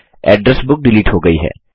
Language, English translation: Hindi, The address book is deleted